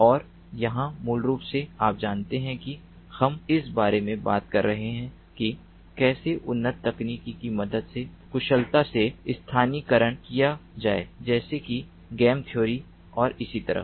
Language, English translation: Hindi, and here, basically, you know we are talking about how to efficiently localize with the help of advanced techniques such as game theory and so on